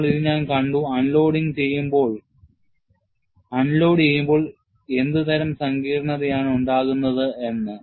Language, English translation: Malayalam, We have already seen, what is the kind of complexity, when you have unloading